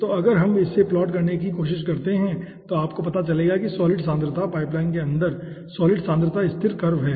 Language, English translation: Hindi, okay, so if we try to plot it, solid concentration, you will be finding out solid concentration across the pipeline is constant curves